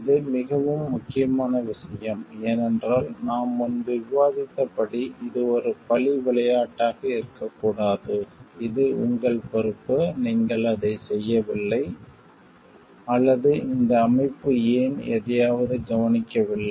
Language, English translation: Tamil, This is very important thing, because as we were discussing earlier, it should not be a blame game it was your responsibility you have not done it, or why this organization has not taken care of something